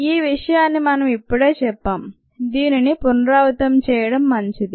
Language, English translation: Telugu, this is what we just mentioned when we it's a good to repeat this